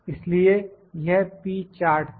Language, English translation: Hindi, So, this was the p chart